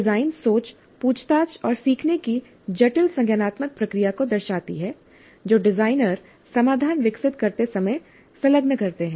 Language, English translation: Hindi, Design thinking reflects the complex cognitive process of inquiry and learning that designers engage in while developing the solutions